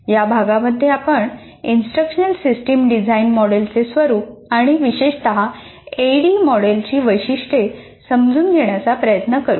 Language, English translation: Marathi, Now in this unit, we try to understand the nature of instructional system design models and particularly features of ADI model